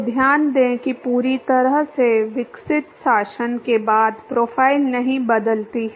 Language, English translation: Hindi, So, note that the profile does not change after the fully developed regime